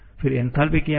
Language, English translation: Hindi, Then, what is enthalpy